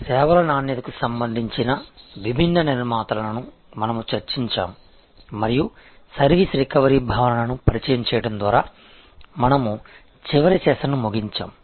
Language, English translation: Telugu, We discussed the different constructs relating to services quality and we ended the last session by introducing the concept of service recovery